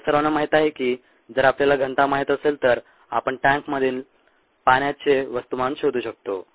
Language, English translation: Marathi, all of you know that if we know the density, we can find out the mass of the water in the tank